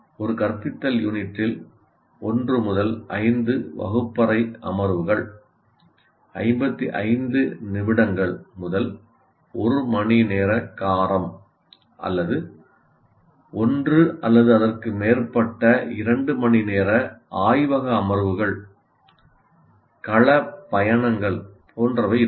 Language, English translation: Tamil, So, as a result, an instructional unit will have 1 to 5 classroom sessions of 15 minutes to 1 hour duration or 1 or more 2 hour laboratory sessions, field trips, etc